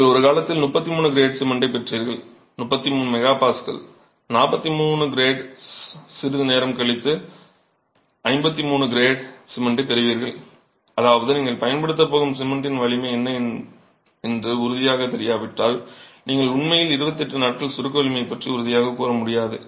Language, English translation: Tamil, You used to get 33 grade cement at one point of time, 33 MPA being the strength, 43 grade after some time and today you get only 53 grade cement, which means unless you are sure what strength of cement you are going to be using, you really can't be sure about the compressive strength at 28 days